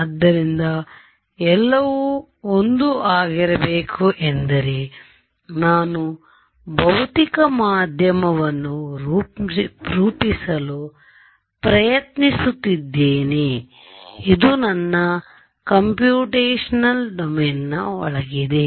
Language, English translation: Kannada, So, everything has to be 1 because I am be trying to model a physical medium this is the inside of my computational domain